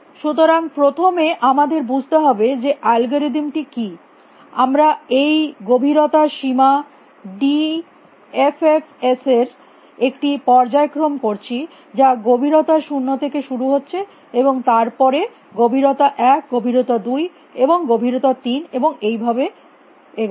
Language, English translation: Bengali, So, first we should understand what the algorithm is we us doing a sequence of this depth bound d f f s starting with depth zero then going to depth one depth two depth three and so on